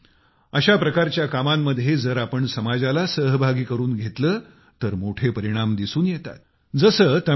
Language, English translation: Marathi, Friends, in Endeavour's of thesekinds, if we involve the society,great results accrue